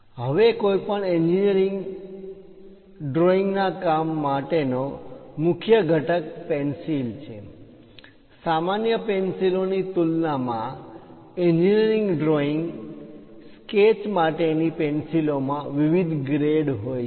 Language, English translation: Gujarati, Now the key component for any drawing is pencil ; compared to the ordinary pencils, the engineering drawing sketch pencils consists of different grades